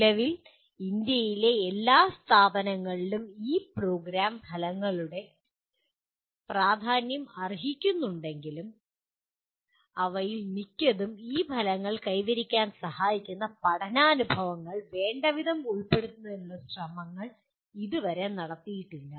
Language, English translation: Malayalam, While all at present all institutions in India acknowledge the importance of these Program Outcomes, most of them are yet to make efforts in adequately incorporating learning experiences that facilitate attaining these outcomes